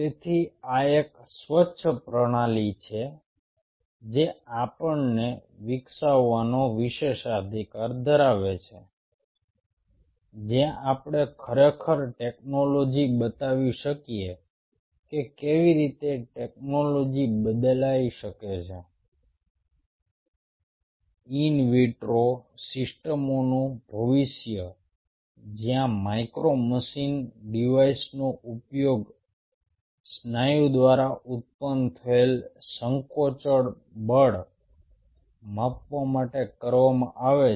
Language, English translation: Gujarati, so this is one of the most ah, cleanest system we had the privilege of developing, where we really could show a technology, how technology can change the future of in vitro systems where a micro machine device is being used to measure the contractile force generated by the muscle